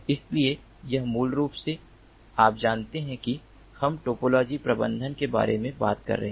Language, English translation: Hindi, so here, basically, you know, we are talking about topology management